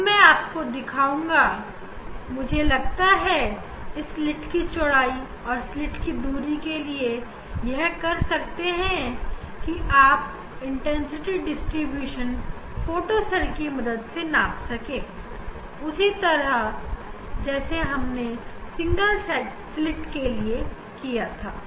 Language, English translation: Hindi, now I will show you I think what we can do just for this slit for this slit width and slit separation we can measure the intensity distribution using the photocell same way using the photocell same way as we did for the for the single slit